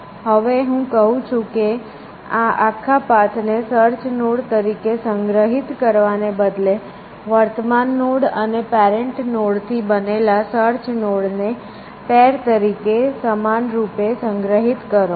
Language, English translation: Gujarati, Now I am saying, that instead of stoling this entire path as a search node, uniformly store a search node as a pair, made up of the current node and the parent node